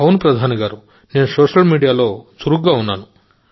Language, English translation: Telugu, Yes Modi ji, I am active